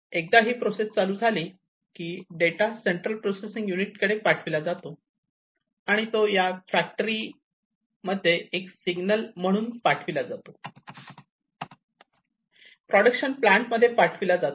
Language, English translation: Marathi, So, you turn on the process so, once it is switched on that data is sent to the central processing unit and it is also sent to one signal is sent unit signal is sent to that factory, the production plant it is sent, right